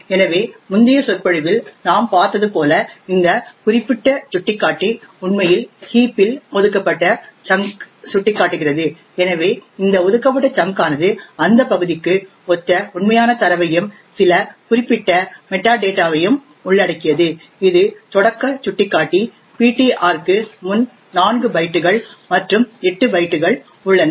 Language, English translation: Tamil, So as we have seen in the previous lecture but this particular pointer would be actually pointing to a allocated chunk in the heat, so this allocated chunk comprises of the actual data which is present corresponding to that region and also some particular metadata which is also present four bytes and eight bytes before the starting pointer ptr